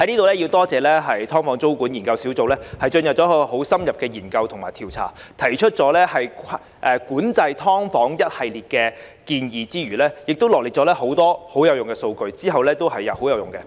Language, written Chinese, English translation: Cantonese, 我在此感謝"劏房"租務管制研究工作小組進行深入研究及調查，提出管制"劏房"一系列建議之餘，也臚列了多項有用的數據，往後也十分有用。, I hereby thank the Task Force for the Study on Tenancy Control of Subdivided Units for undertaking in - depth studies and surveys putting forward a series of recommendations on SDU tenancy control as well as publishing a large amount of useful data which can be put to future use